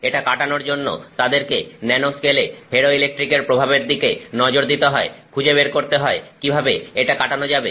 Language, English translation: Bengali, So, to overcome that they had to look at the effect of the nanoscale on the ferroelectrics and therefore figure out a way to overcome it